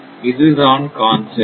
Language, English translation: Tamil, So, this is the concept